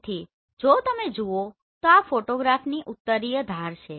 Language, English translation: Gujarati, So if you see this is the northern edge of this photograph